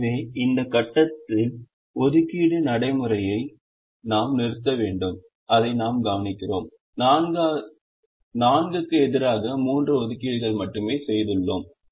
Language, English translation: Tamil, so we need to stop the assigning procedure at this point and we observe that we have made only three assignments as against four that we wish actually have